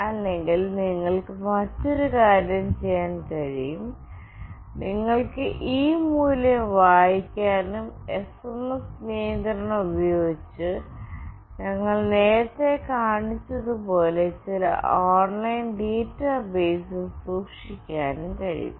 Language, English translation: Malayalam, Or, you can do another thing, you can read this value, store it in some online database as we have shown you earlier using the SMS control